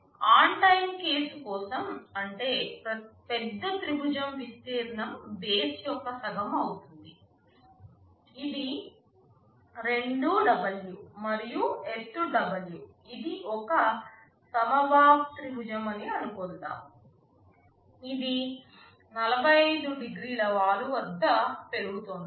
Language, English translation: Telugu, For the on time case, that means, the larger triangle area will be half of base, which is 2W, and height is W let us assume this is an equilateral triangle, it is rising at 45 degree slope